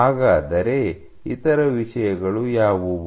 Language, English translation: Kannada, What are the other things